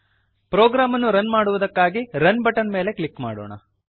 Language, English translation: Kannada, Let us click on Run button to run the program